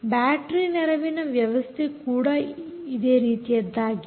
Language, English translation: Kannada, battery assisted is also quite similar